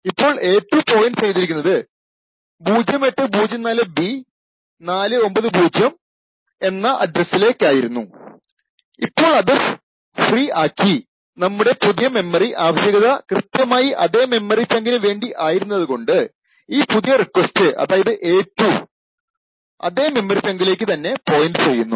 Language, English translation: Malayalam, So, for example a2 was pointing to this location 0804B490 and it was freed and the new memory request was also given exactly the same memory chunk therefore this new request and a2 point to the same chunk of memory, thank you